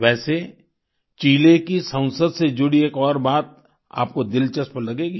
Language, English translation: Hindi, By the way, there is another aspect about the Chilean Parliament, one which will interest you